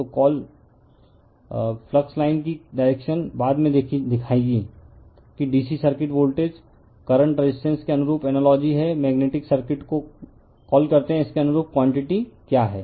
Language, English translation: Hindi, So, direction of the you are what you call flux line later we will show you that is analogy to DC circuit voltage current resistance to your what you call magnetic circuit what are those quantity for analogous to that right